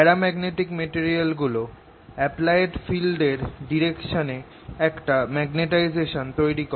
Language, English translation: Bengali, paramagnetic materials develop a magnetization in the direction of applied field